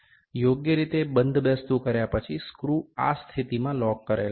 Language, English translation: Gujarati, After aligning properly, the screw is locked in this position